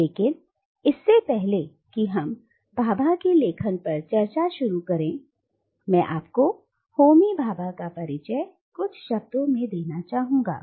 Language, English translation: Hindi, But before we start discussing the writings of Bhabha, let me introduce to you Homi Bhabha in a few words